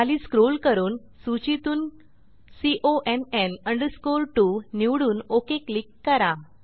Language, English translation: Marathi, Scroll down and choose CONN 2 from the list and click on OK